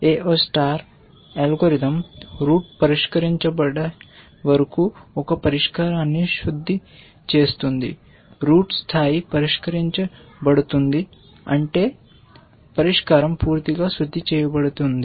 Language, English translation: Telugu, The AO star algorithm keeps refining a solution till the root gets solved, root gets level solved, which means that the solution is completely refined